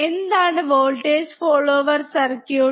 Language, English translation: Malayalam, What is voltage follower circuit